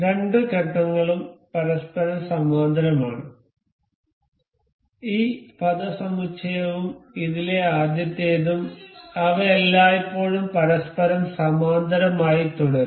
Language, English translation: Malayalam, The two phases are parallel to each other, this phase and the top one of this, they will always remain parallel to each other